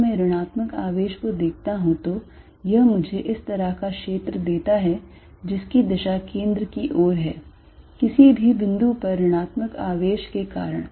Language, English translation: Hindi, If I look at the negative charge it gives me a field like this towards the centre, because the negative charge at any point